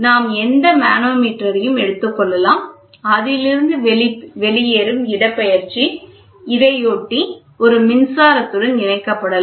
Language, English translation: Tamil, We have any manometer; we can take any manometer so, what you get out of it is displacement, this displacement, in turn, can be attached to an electrical